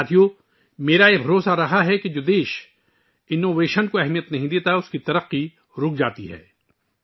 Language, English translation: Urdu, Friends, I have always believed that the development of a country which does not give importance to innovation, stops